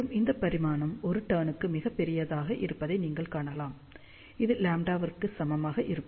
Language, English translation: Tamil, And you can see this dimension is much larger just one turn itself is equal to lambda